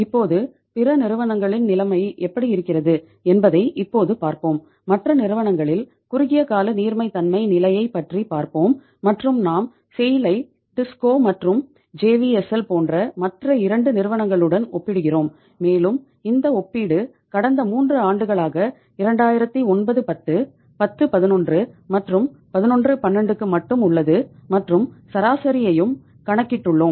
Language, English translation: Tamil, Let us see now how it is the situation in the other companies like say uh we talk about the short term liquidity position in the other companies and we are comparing SAIL with the say other 2 companies like TISCO and JVSL and this comparison is only for the past 3 years 2009 10, 10 11, and 11 12 and we have calculated the average also